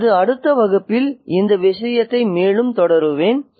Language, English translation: Tamil, I'll continue this point further in my next lecture